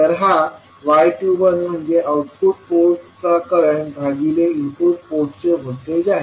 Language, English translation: Marathi, So using current at output port divided by voltage at input port